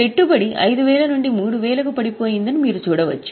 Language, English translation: Telugu, You can see investment has gone down from 5,000 to 3,000